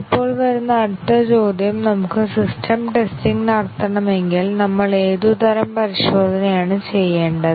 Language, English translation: Malayalam, Now, the next question that comes is, if we have to do the system testing, what sort of testing we need to do